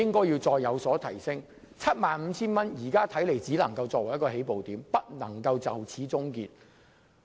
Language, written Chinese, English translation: Cantonese, 現在看來 ，75,000 元只能作為起步點，不能就此終結。, My present view is that raising the limit to 75,000 should only be regarded as a starting point and the matter should not end there